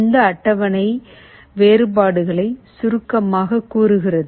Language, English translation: Tamil, The table summarizes the differences